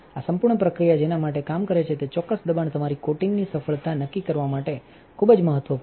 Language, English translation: Gujarati, The exact pressure at which this whole process works is very critical to determining the success of your coating